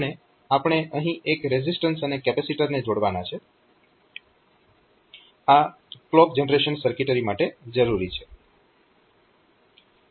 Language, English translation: Gujarati, And we have to connect a resistance and a capacitor here this is required for that clock generation circuitry